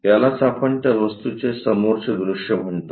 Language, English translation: Marathi, This is what we call front view of that object